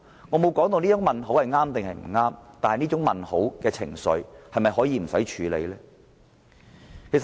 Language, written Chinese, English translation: Cantonese, 我沒說這些問號是對是錯，但這些問號代表的情緒是否可以置之不理？, I am not judging whether it is right or wrong to have question marks but can we afford to ignore the sentiment behind such question marks?